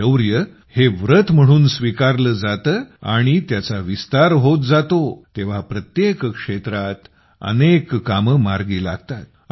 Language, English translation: Marathi, When bravery becomes a vow and it expands, then many feats start getting accomplished in every field